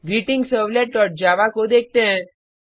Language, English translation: Hindi, Let us see the GreetingServlet.java